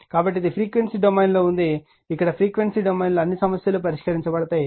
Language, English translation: Telugu, So, this is in the frequency domain here will solve all the problem in whatever little bit in frequency domain